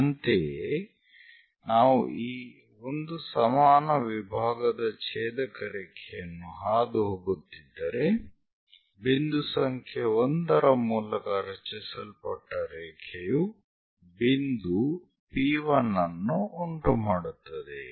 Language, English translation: Kannada, Similarly, if we are going the intersection line of this 1 equal division and a line which is passing through 1 point that is also going to make a point P1